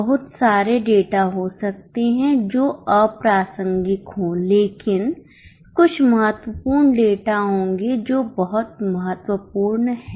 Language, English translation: Hindi, There may be lot of data which is irrelevant, but there will be some important data which is very, very important